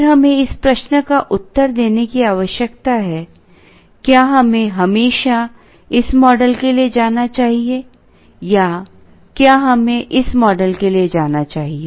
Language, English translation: Hindi, Then we need to answer this question, should we always go for this model or should we go for this model